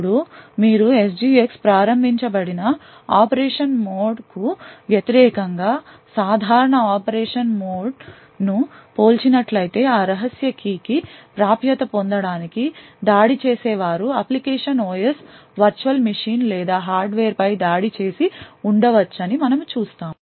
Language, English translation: Telugu, Now if you compare the normal mode of operation versus the SGX enabled mode of operation we see that an attacker could have attacked either the application OS, virtual machine or the hardware in order to gain access to that secret key